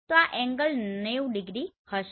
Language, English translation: Gujarati, So this angle will be 90 degree